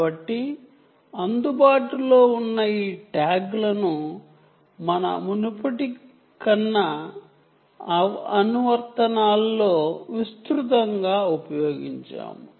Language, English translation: Telugu, ok, so these tags, where available, and we have used them extensively in some of our previous applications